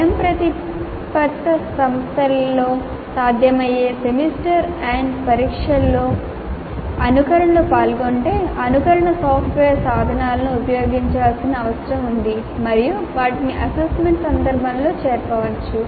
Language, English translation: Telugu, If simulations are involved in the semester and examination which is possible in autonomous institutions, simulation software tools need to be used and they can be incorporated into the assessment context